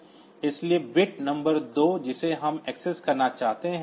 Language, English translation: Hindi, So, bit number 2 we want to access